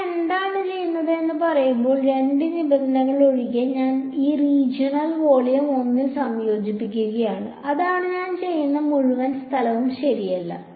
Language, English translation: Malayalam, Except two conditions are there when I say what I am doing is, I am integrating over this region volume 1, that is what I am doing not the entire space right